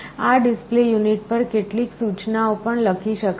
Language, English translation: Gujarati, So, some instructions can also be written to this display unit